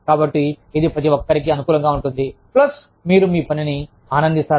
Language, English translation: Telugu, So, it is in everybody's favor, plus, you enjoy your work